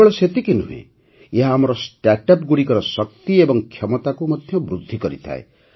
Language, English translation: Odia, Not only that, it also enhances the strength and potential of our startups